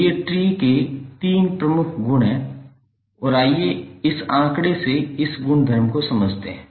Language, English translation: Hindi, So these are the three major properties of tree and let us understand this property from this figure